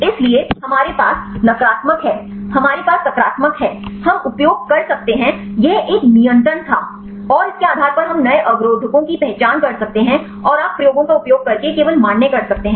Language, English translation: Hindi, So, we have the negative we have the positives, we can use this was a control and based on that we can identify the new inhibitors and you can just validate using experiments